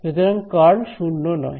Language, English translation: Bengali, So, the curl is non zero